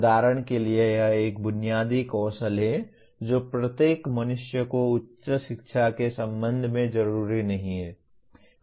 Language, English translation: Hindi, For example this is one of the basic skill that every human being requires not necessarily with respect to higher education